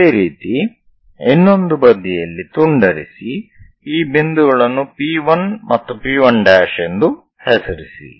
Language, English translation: Kannada, Similarly, on the other side make a cut, so name these points as P 1 and P 1 prime